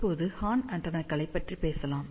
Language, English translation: Tamil, Now, let us talk about horn antennas